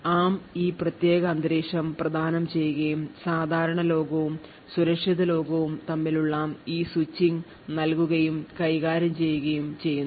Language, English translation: Malayalam, So, ARM provides this particular environment and provides and manages this switching between normal world and secure world